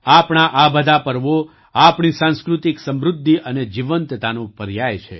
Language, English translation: Gujarati, All these festivals of ours are synonymous with our cultural prosperity and vitality